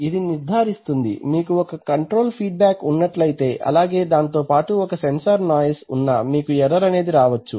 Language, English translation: Telugu, So to ensure that you have an, you have feedback control right, plus there may be a sensor noise also there is feedback may be erroneous